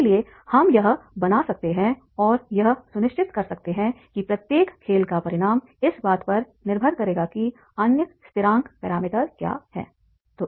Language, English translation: Hindi, So therefore that is the how we can make and ensure that is the consequence of each game that that will depend on that is the what are the other constant parameters